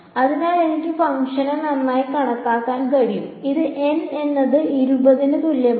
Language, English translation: Malayalam, So, I am able to approximate the function better and this was so N is equal to twenty